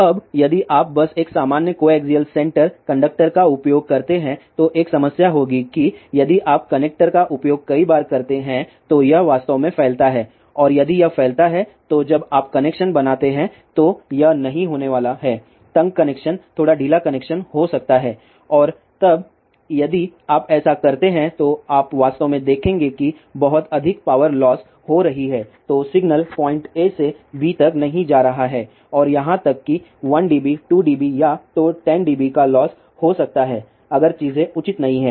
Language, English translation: Hindi, Now, if you just use a normal co axial center conductor then there will be a problem that if you use the connector several times this actually spreads out and then if this if this spreads out then when you make the connection it is not going to be a tight connection there may be a slightly lose connection and then if you do that you will actually see that lot of power is getting loss the signal is not going from point a to b and there may be a loss of 1 dB, 2 dB, or even 10 dB if the things are not proper